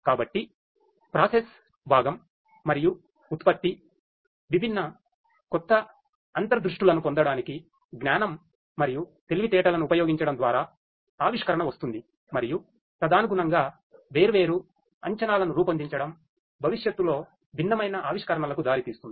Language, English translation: Telugu, So, process component and production; innovation will come through the use of knowledge and intelligence for deriving different new insights and correspondingly making different predictions which will lead to different innovations in the future